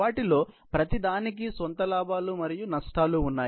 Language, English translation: Telugu, Each of them has its own pros and cons